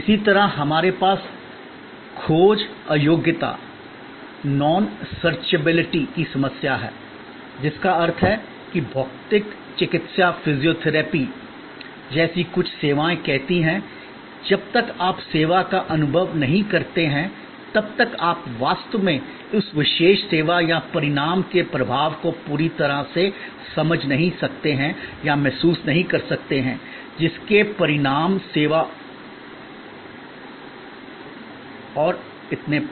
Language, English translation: Hindi, Similarly, we have the problem of non searchability, which means that there are some services say like physiotherapy, where till you experience the service, you really cannot comprehend or cannot fully realize the impact of that particular service or the result, the outcome of that service and so on